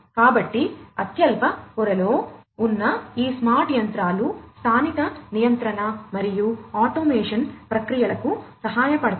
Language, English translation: Telugu, So, these smart machines at the lowest layer will help in local control and automation processes